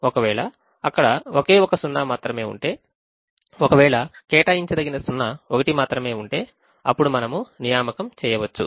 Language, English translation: Telugu, if there is only one zero, if there is only one assignable zero, then make an assignment, which is what we did